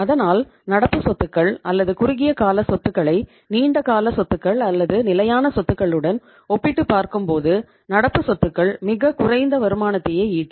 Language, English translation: Tamil, So you can say that when you compare the say current assets or short term assets with the long term assets or with the fixed assets the current assets are less productive